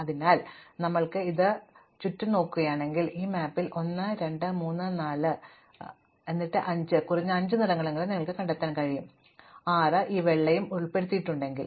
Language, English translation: Malayalam, So, we have this, if you look around, you will find 1, 2, 3, 4 and then 5 at least five colors on this map, 6 if you include this white and so on